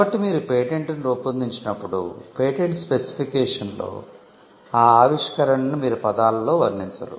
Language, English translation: Telugu, So, in a patent specification, when you draft a patent, you will not merely describe the invention in words